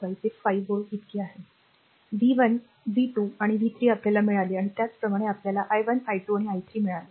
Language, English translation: Marathi, So, that is your 5 volt so, v 1 v 2 v 3 we got and similarly we got i 1, i 2 and i 3